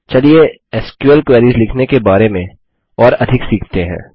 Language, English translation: Hindi, Next, let us learn about using Functions in SQL